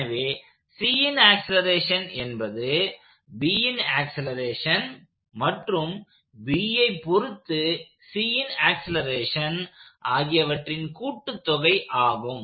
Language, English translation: Tamil, So the acceleration of C is acceleration of B plus the acceleration of C as observed by B